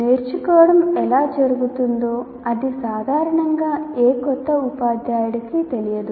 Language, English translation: Telugu, The learning process, how learning takes place, that is not an area normally any new teacher has